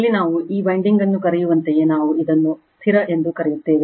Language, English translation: Kannada, Here what we call this winding are called your what we call this we call that static